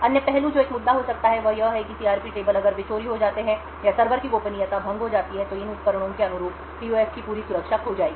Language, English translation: Hindi, Other aspects that could be an issue is that the CRP tables if they are stolen or if the privacy of the server gets breached then the entire security of the PUFs corresponding to these devices would be lost